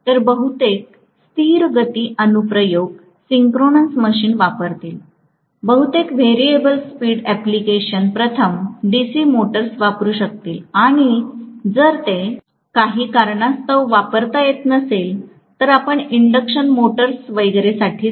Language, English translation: Marathi, So most of the constant speed applications will use synchronous machine, most of variable speed applications might use DC motors first and if it cannot be used for some reason, then we may go for induction motors and so on